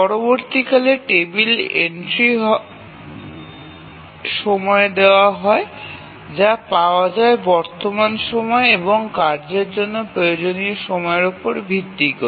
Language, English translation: Bengali, So, the next time is given by the table entry time that get time when the current time plus the time that is required by the task